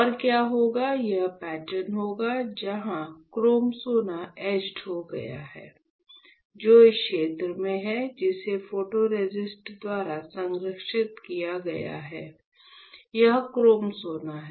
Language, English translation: Hindi, And when you do that what you will have; you will have this pattern where the chrome gold got etched which, in the area which was not protected by the photoresist right, this is chrome gold